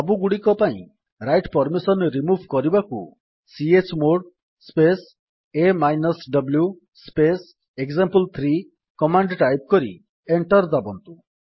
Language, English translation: Odia, To remove the write permissions for all, type the command: $ chmod space a w space example3 press Enter